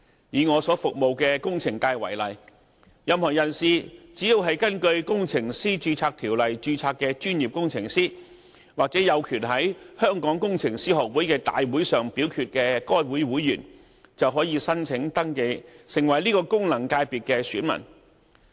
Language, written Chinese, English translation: Cantonese, 以我所服務的工程界為例，任何人士只要是根據《工程師註冊條例》註冊的專業工程師，或有權在香港工程師學會的大會上表決的該會會員，就可以申請登記成為此功能界別的選民。, Take for instance the engineering sector in which I serve anyone who is a professional engineer registered under the Engineers Registration Ordinance or is a member of the Hong Kong Institution of Engineers with a voting right in the Institutions general meeting can apply to register as an elector in that functional constituency